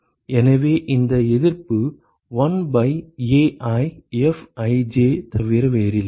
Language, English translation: Tamil, So, this resistance is nothing but 1 by AiFij